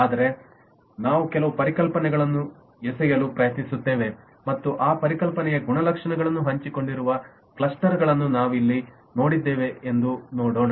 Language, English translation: Kannada, so we will try to throw in some concepts and see that do we have clusters here which shared the properties of that concept